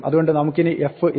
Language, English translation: Malayalam, So, we do not have f with us anymore